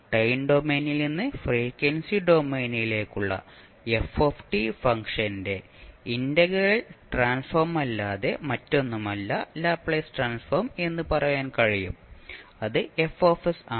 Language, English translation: Malayalam, We can say that Laplace transform is nothing but an integral transformation of of a function ft from the time domain into the complex frequency domain and it is given by fs